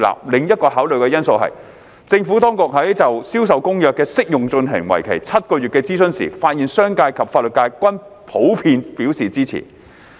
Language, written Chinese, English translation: Cantonese, 另一個考慮因素是，政府當局在就《銷售公約》的適用進行為期7個月的諮詢時，發現商界及法律界均普遍表示支持。, Another consideration is that the Administration found that the business and legal sectors were generally supportive of the application of CISG during the seven - month consultation exercise